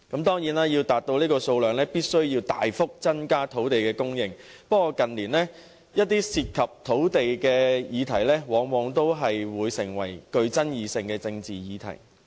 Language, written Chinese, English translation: Cantonese, 當然，要達到這個建屋數量，便須大幅增加土地供應，但近年一些涉及土地的議題，往往會成為甚富爭議的政治議題。, Of course to reach the proposed production volume a significant increase in land supply is needed but in recent years all matters concerning land have always given rise to controversial political issues